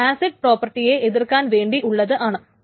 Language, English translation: Malayalam, So this is just to counter the acid properties